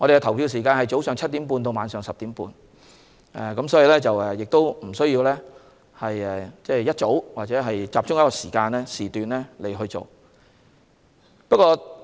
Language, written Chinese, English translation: Cantonese, 投票時間是早上7時30分至晚上10時30分，大家不用大清早或集中在某一時段去投票。, The polling hours will be from 7col30 am to 10col30 pm . Members of the public do not need to vote early in the morning or mainly at a certain period of time